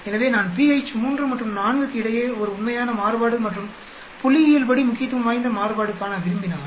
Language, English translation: Tamil, So if I want to see a real variation and statistically significant variation between pH at 3 and 4